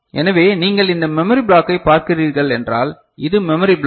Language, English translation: Tamil, So, if you are looking at this memory block so, this is the memory block right